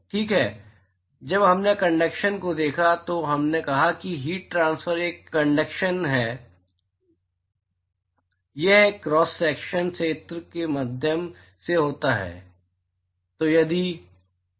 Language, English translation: Hindi, Alright, when we looked at conduction we said that heat transfer we are conduction it occurs through a cross sectional area right